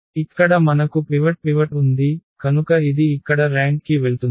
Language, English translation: Telugu, Here we have pivot so that will go count to the rank here